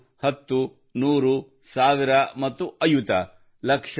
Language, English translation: Kannada, One, ten, hundred, thousand and ayut